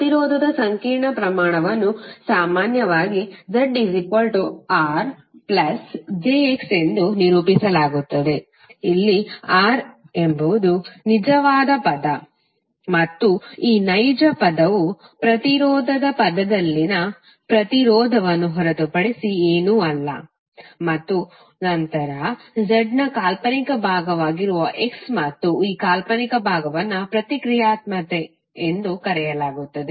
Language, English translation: Kannada, The complex quantity for impedance is generally represented as Z is equal to R plus j X, where R is the real term and this real term is nothing but the resistance in the impedance term and then X which is imaginary part of Z and this imaginary part is called reactance